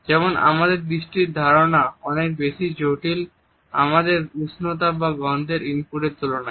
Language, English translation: Bengali, For example, our understanding of the vision is much more complex in comparison to our understanding of thermal and olfaction inputs